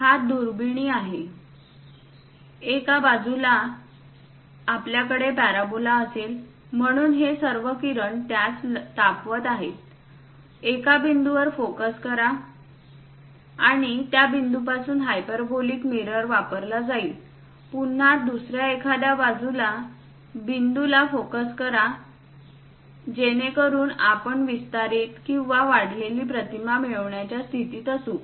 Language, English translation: Marathi, This is a telescope, on one side you will have a parabola; so all these rays comes heats that, focus to one point and from that one point hyperbolic mirror will be used, again it will be focused at some other point so that it will be amplified or enlarged image one will be in position to get